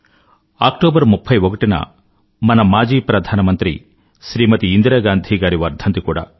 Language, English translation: Telugu, The 31st of October also is the death anniversary of our former Prime Minister Indira Gandhi